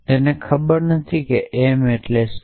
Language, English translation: Gujarati, It does not understand what does m stands for